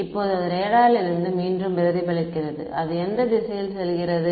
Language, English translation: Tamil, Now it reflects back from the radar and it goes into which direction the